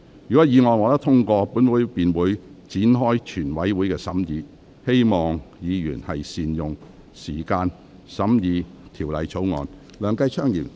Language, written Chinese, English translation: Cantonese, 如果議案獲得通過，本會便會展開全體委員會審議程序，請議員善用時間審議這項條例草案。, If the motion is passed this Council will proceed to the consideration of the Bill by the committee of the whole Council . I call on Members to make good use of time to consider the Bill